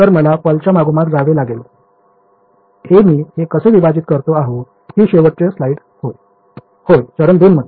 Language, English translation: Marathi, So, I have to go pulse by pulse that is how I split this up yeah this is the last slide yeah so in step 2